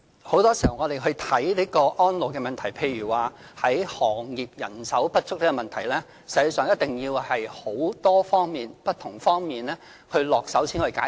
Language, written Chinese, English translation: Cantonese, 很多時候，要解決安老的問題，例如行業人手不足的問題，實際上，一定要從很多不同方面下手才能解決。, More often than not in order to resolve the elderly care problem such as the manpower shortage a multi - pronged approach must be adopted